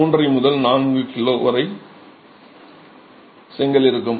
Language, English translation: Tamil, 5 to 4 kg would be the brick